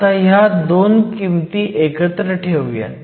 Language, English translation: Marathi, So, let us put these 2 terms together